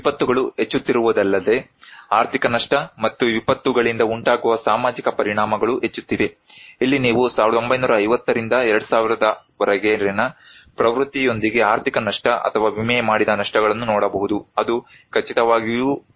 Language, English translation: Kannada, Also, not only the disasters are increasing, but economic loss and social impacts due to disasters are increasing, here is one you can look at economic losses or insured losses with trend from 1950’s to 2000 that is for sure that it is increasing